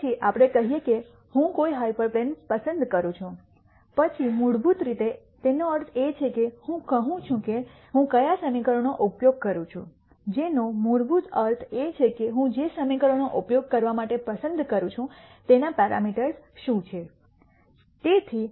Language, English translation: Gujarati, Then we say which hyperplane do I choose, then basically it means I am saying which equation do I use, which basically means what are the parameters in the equation that I choose to use